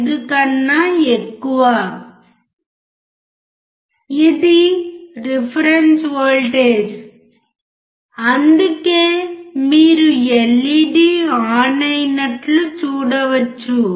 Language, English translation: Telugu, 5 which is a reference voltage that is why you can see the LED glowing